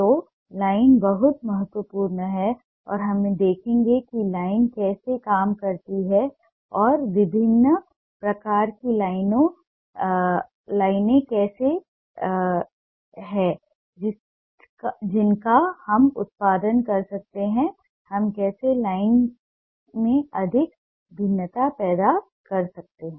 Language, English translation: Hindi, so line is very important and we'll see how line works and what are the different kind of lines ah that we can produce, how we can create more variation into line